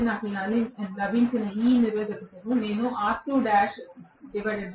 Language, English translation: Telugu, So, I should be able to write this resistance which I got as R2 dash by S